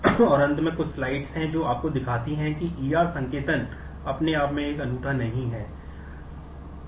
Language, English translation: Hindi, And at the end also there are few slides which show you that the E R notation itself is not a unique one